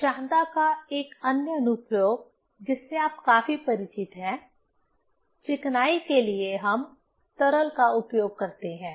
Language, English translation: Hindi, Another application of viscosity you are quite familiar that, for lubrication purpose we use the liquid